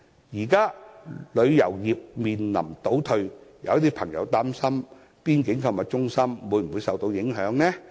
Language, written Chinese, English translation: Cantonese, 現時，旅遊業面臨倒退，有朋友擔心邊境購物中心會否受到影響。, In face of the setbacks suffered by the tourism industry some people are concerned that the boundary shopping mall may be negatively affected